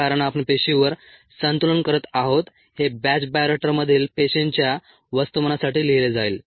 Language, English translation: Marathi, since we are doing the balance on cells, this would be written for the mass of cells in the batch bioreactor, since it is batch and a